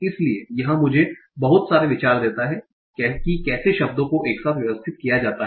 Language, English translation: Hindi, So this gives me a lot of idea about how words are grouped and arranged together